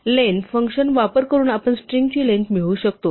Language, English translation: Marathi, We can get length of the string using the function len